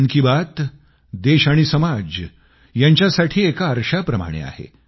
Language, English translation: Marathi, 'Mann Ki Baat'is like a mirror to the country & our society